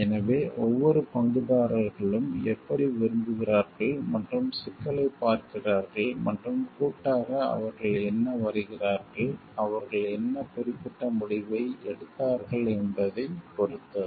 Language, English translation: Tamil, So, it depends on how the each of the stakeholders like and looking at the issue and collectively what they arrive at, what particular decision that they arrived at